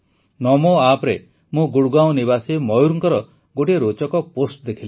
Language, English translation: Odia, I saw an interesting post by Mayur, a resident of Gurgaon, on the NaMo App